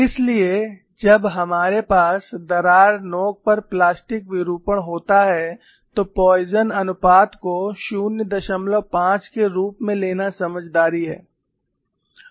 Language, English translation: Hindi, So, when we have plastic deformation at the crack tip, it is prudent to take the Poisson ratio as 0